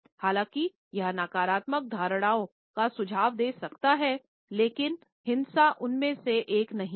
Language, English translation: Hindi, Even though it may suggest negative connotations, but violence is never one of them